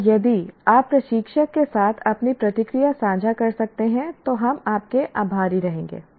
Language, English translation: Hindi, And if you can share your responses with the instructor, we will be thankful